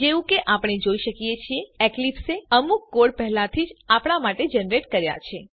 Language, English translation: Gujarati, As we can see, there is already some code, Eclipse has generated for us